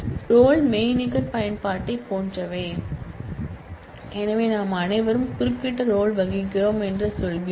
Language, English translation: Tamil, Roles are kind of like virtual use that so, we all say that we all play certain role